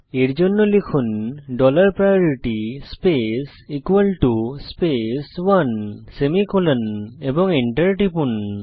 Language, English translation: Bengali, For this type dollar priority space equal to space one semicolon and press Enter